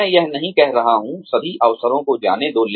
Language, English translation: Hindi, I am not saying, let go of, all the opportunities